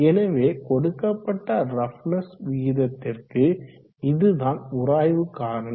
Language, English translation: Tamil, So for given roughness ratio this is the friction factor